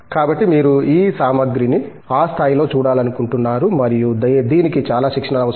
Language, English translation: Telugu, So, you would like to see these materials at that level and that needs a lot of training